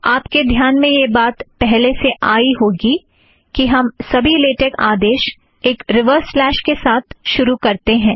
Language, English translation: Hindi, You may have already noticed that all latex commands begin with a reverse slash